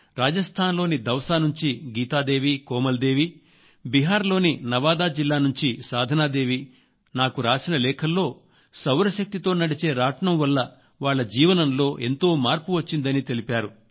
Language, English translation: Telugu, Geeta Devi and Komal Devi from Dausa in Rajasthan, and Sadhna Devi from Nawada district in Bihar have written to me saying that slar charkhas has made remarkable changes in their lives